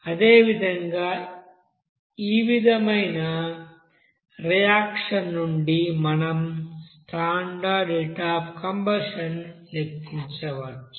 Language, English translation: Telugu, So this one in this way you can you know calculate the standard heat of reaction based on the combustion reaction